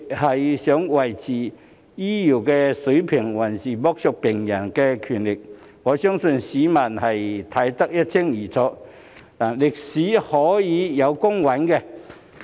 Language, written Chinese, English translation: Cantonese, 是想維持醫療水平，還是要剝削病人權力，我相信市民會看得一清二楚，歷史亦會有公允的評價。, Do they want to maintain the healthcare standard or exploit patients rights? . I believe the public are very clearly about that and history will make fair evaluation